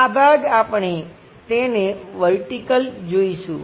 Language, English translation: Gujarati, This part we will see it like vertical